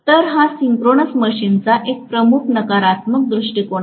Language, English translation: Marathi, So, this is one of the major negative point of the synchronous machine